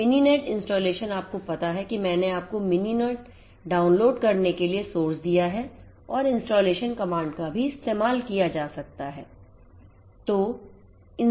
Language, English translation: Hindi, So, Mininet installation you know I have given you the source for downloading Mininet and also for installation the comment that can be used is also given over here